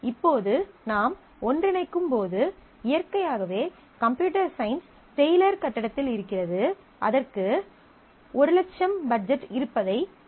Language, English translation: Tamil, Now, when we are combined, we will see that naturally since computer science is located in the Taylor building, we know that it has a budget of say 100,000